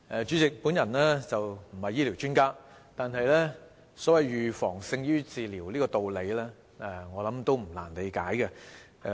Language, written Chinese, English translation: Cantonese, 主席，我不是醫療專家，但"預防勝於治療"的道理，我相信也不難理解。, President I am not a medical expert but I do not think the saying prevention is better than cure is difficult to understand